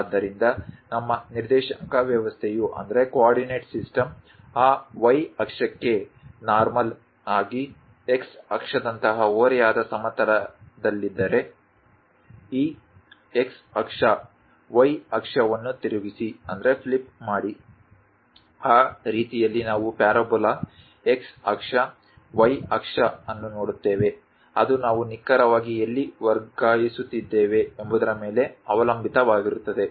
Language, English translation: Kannada, So, if our coordinate system is on the inclined plane like x axis normal to that y axis, flip this x axis, y axis; then we will see something like a parabola in that way, x axis, y axis, it depends on where exactly we are translating